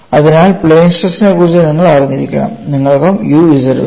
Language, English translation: Malayalam, So, you have to know for the plane stress, you also have u z